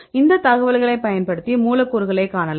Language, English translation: Tamil, So, using this information they will see some molecules